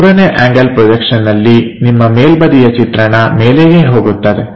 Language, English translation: Kannada, In 3rd angle projection, your top view goes at top level